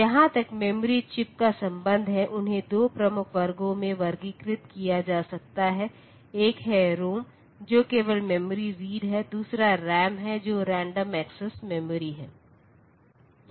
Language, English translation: Hindi, As far as memory chips are concerned so they can be classified into two major classes: one is the ROM that is read only memory, another is RAM which is random access memory